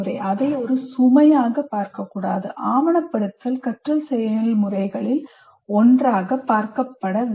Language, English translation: Tamil, It's a, it should be seen, documenting should be seen as a, as one of the processes of learning